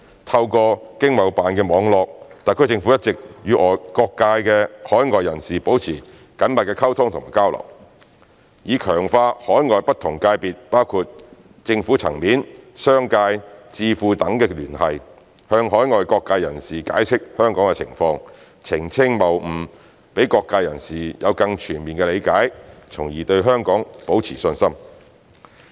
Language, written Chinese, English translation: Cantonese, 透過經貿辦的網絡，特區政府一直與各界海外人士保持緊密溝通及交流，以強化與海外不同界別，包括政府層面、商界、智庫等的聯繫，向海外各界人士解釋香港的情況，澄清謬誤，讓各界人士有更全面的理解，從而對香港保持信心。, The SAR Government has been through ETOs networks maintaining close communication and exchanges with people from all quarters overseas in a bid to strengthen ties with different parties overseas including those from governments business sectors think tanks etc explaining to them from time to time the situation of Hong Kong while dispelling fallacies to enable people from all quarters to have a more comprehensive understanding of and hence remain confident in Hong Kong